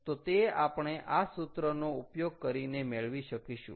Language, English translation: Gujarati, so ok, so we have to use this formula